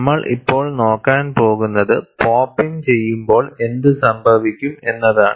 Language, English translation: Malayalam, Now, what we are going to look at, is what happens, when I have pop in